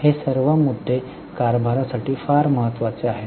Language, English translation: Marathi, All these issues are very important for governance